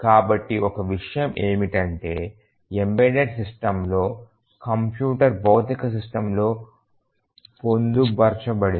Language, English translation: Telugu, So, one thing is that in the embedded system the computer is embedded in the physical system